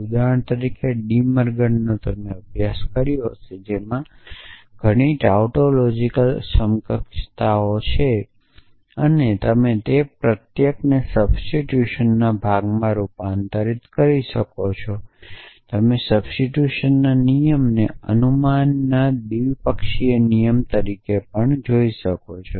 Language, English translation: Gujarati, So, De Morgan’s law for example, you must have studied, so there are many tautological equivalences and you can convert each of them in to rule of substitution you can also see a rule of substitution as a bidirectional rule of inference